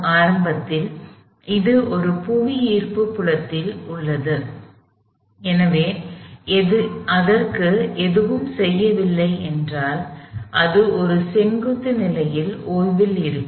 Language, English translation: Tamil, Initially, it is in a gravitational fields, so if nothing was done to it, it would be at rest kind of in a vertical position like this